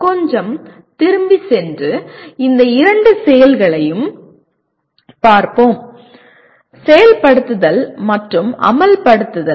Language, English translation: Tamil, Let us go back a little bit and look at these two activities, execute and implement